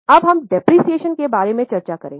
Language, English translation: Hindi, Now we will discuss about depreciation